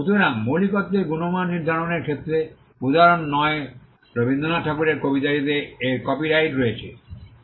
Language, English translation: Bengali, So, in determining originality quality is not an issue for instance Rabindranath Tagore’s poetry has copyright over it